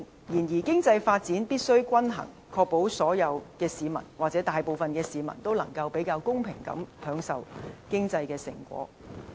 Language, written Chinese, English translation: Cantonese, 然而，經濟發展必須均衡，確保所有市民或大部分市民能夠比較公平地享受經濟成果。, However economic development must be implemented evenly to ensure that everyone or most everyone can enjoy the fruit of economic development relatively equally